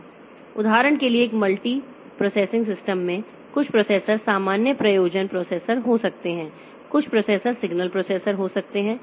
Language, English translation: Hindi, For example, in a multiprocessing system some of the processors may be general purpose processor, some of the processors may be signal processors